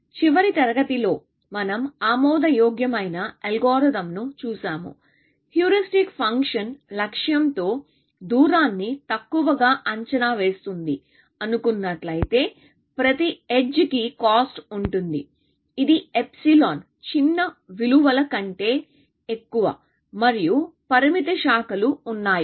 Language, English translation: Telugu, In the last class, we saw that the algorithm is admissible, provided the heuristic function underestimates the distance with the goal, and provided, every edge has the cost, which is greater than the some small value, epsilon, and there is finite branching